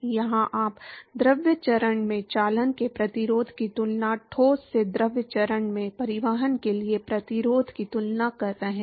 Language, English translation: Hindi, Here you are comparing the resistance of conduction in the fluid phase versus the resistance for transport from the solid to the fluid phase